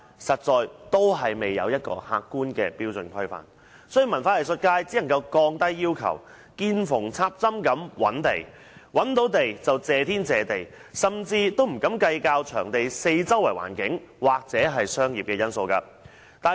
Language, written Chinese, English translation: Cantonese, 由於沒有客觀標準規範，文化藝術界只能夠降低要求，見縫插針式覓地，找到場地便謝天謝地，甚至不敢計較場地四周的環境或商業因素。, If there is not any objective standard laid down for these facilities the culture and arts sector can only lower their standards and be grateful for any tiny piece of land they can find not to mention factors such as the surrounding environment or nearby commercial elements of the site